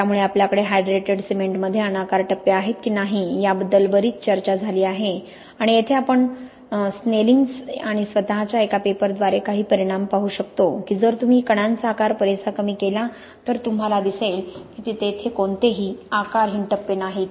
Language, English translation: Marathi, So it has been a lot of debate about whether we have amorphous phases in unhydrated cement and here we can see some results by a paper by Snellingx and myself that if you reduce the particle size enough then you see really there is no amorphous phase